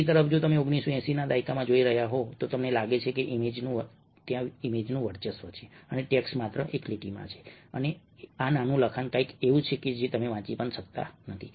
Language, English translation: Gujarati, on the other hand, if you are looking at the nineteen eighties, you find that the image dominates and the text is just one line and this small text which you cannot read